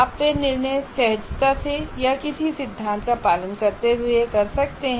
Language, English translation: Hindi, You may do that decision intuitively or following some theory